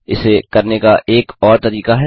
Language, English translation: Hindi, There is one more way of doing it